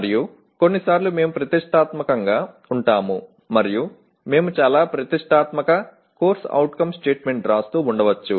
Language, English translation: Telugu, And sometimes we tend to be over ambitious and we may be writing very ambitious CO statement